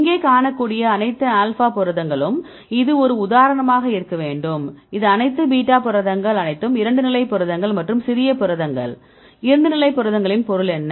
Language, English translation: Tamil, So, this should be example for the all alpha proteins right you can see here and this is for the all beta proteins all these proteins are 2 state proteins and small proteins; what is the meaning of 2 state proteins